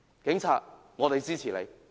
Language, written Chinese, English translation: Cantonese, 警察，我們支持你。, Police officers we are on your side